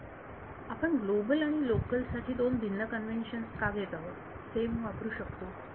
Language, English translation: Marathi, Why are we taking different conventions for global and local you can use same